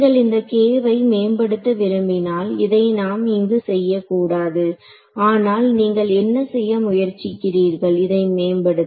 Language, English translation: Tamil, So, let us say if you wanted to improve this k we would not do it here, but what would what would you try to do if wanted to improve this